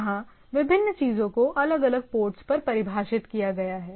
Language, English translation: Hindi, So, where the different things are defined at different port